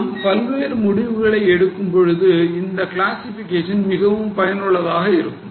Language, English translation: Tamil, So, this classification is very much useful for decision making